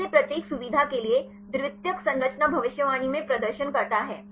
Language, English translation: Hindi, How for each feature performs in the secondary structure prediction